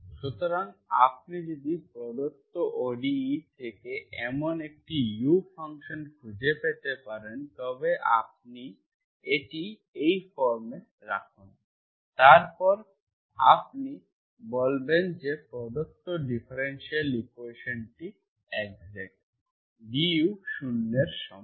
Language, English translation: Bengali, So if you can find such a u function so that you are given, given ODE, you can put it in this form, du is equal to 0, then you say that the given differential equation is exact